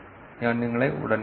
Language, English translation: Malayalam, I will see you soon